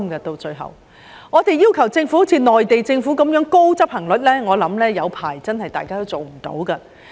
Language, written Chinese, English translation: Cantonese, 如果我們要求政府達到內地政府的高執行率，我相信好一陣子也做不到。, If we want the Government to achieve implementation efficiency as high as the Mainland Government I believe this would not be possible for a long while